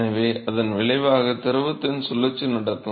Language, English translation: Tamil, And so, what it results, is a circulation of the fluid